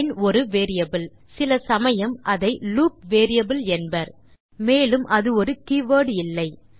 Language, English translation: Tamil, line is a variable, sometimes called the loop variable, and it is not a keyword